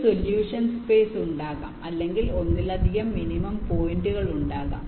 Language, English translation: Malayalam, there can be a solution space or there can be multiple minimum points